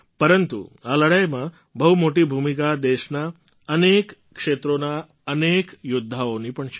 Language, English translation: Gujarati, But there also has been a very big role in this fight displayed by many such warriors across the country